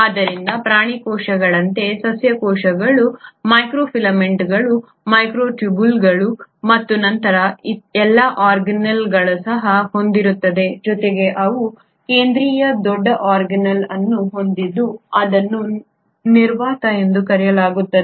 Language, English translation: Kannada, So like animal cells, the plant cells also has microfilaments, microtubules and all the other organelles plus they end up having a central large organelle which is called as the vacuole